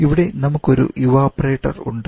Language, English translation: Malayalam, We have to ensure that in the evaporator